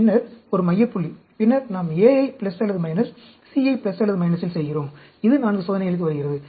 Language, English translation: Tamil, And then, one center point, and then, we do A at plus or minus, C at plus or minus, that comes to 4 experiments